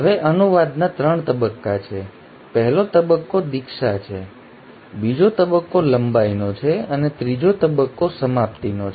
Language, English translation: Gujarati, Now translation has 3 stages; the first stage is initiation, the second stage is elongation and the third stage is termination